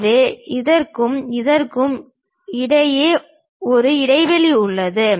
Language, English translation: Tamil, So, there is a gap between this one and this one